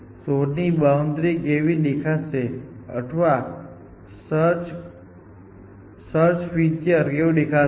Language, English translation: Gujarati, How will the search frontier look like or the boundary of the search look like